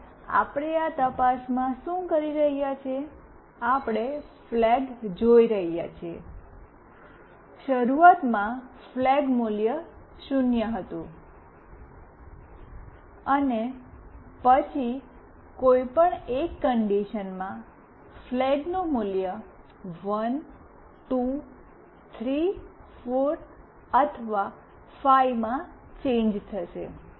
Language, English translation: Gujarati, And what we are doing in this check, we are seeing flag , and then in any one of these conditions the flag value will change to either 1, 2, 3, 4 or 5